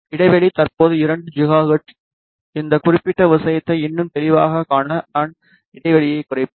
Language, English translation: Tamil, The span currently is 2 gigahertz, I will reduce the span so that I can view this particular thing more clearly